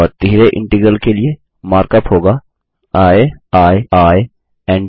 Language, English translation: Hindi, And the mark up for a triple integral is i i i n t